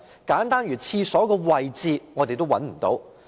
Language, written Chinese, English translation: Cantonese, 簡單如廁所位置的資料，我們也找不到。, We cannot even find such simple information as locations of washrooms